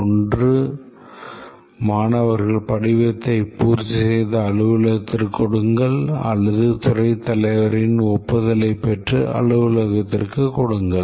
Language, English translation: Tamil, One is that the students fill up a form, give it to the office, or get it approved by the head of department give it in the office